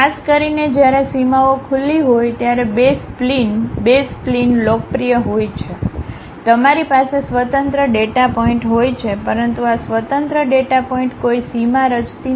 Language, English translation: Gujarati, Especially, the B splines the basis splines are popular when boundaries are open, you have discrete data points, but these discrete data points are not forming any boundary